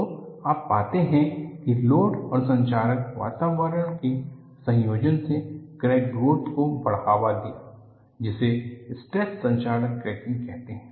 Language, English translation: Hindi, So, what you find is, combination of a load plus corrosive environment has precipitated crack growth, due to stress corrosion cracking